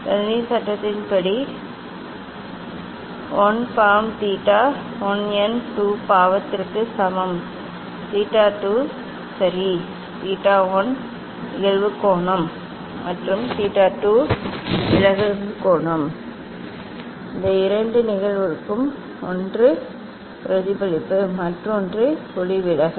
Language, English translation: Tamil, according to Snell s law n 1 sin theta 1 equal to n 2 sin theta 2 ok; theta 1 angle of incidence and theta 2 angle of refraction this two cases one is reflection, and another is refraction